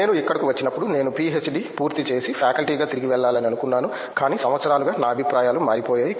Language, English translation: Telugu, When I came here I wanted to complete PhD and go a back as a faculty, but my views have changed over the years